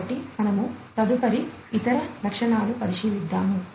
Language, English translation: Telugu, So, we go next and look at the other features